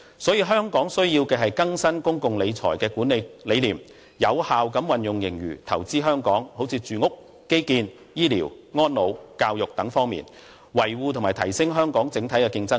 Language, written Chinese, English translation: Cantonese, 所以，香港必須更新公共財政的管理哲學，有效地把盈餘投資於香港，例如住屋、基建、醫療、安老和教育等方面，以維護和提升香港整體競爭力。, Hence the Government must adopt a new public financial management philosophy to effectively invest its surplus in Hong Kong such as on housing infrastructure health care elderly care education etc with a view to maintaining and enhancing the overall competitiveness of Hong Kong